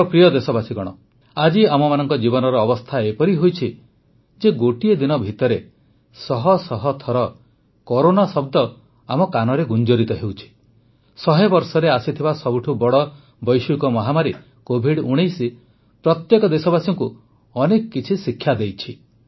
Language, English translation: Odia, the condition of our lives today is such that the word Corona resonates in our ears many times a day… the biggest global pandemic in a hundred years, COVID19 has taught every countryman a lot